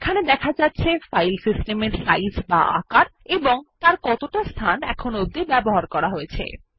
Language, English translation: Bengali, Here it shows the size of the File system, and the space is used